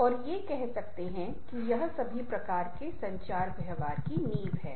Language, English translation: Hindi, one can say that this is the foundation of all kinds of communication behavior